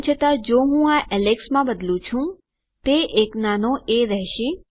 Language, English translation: Gujarati, However if I change this to alex, that will be a small a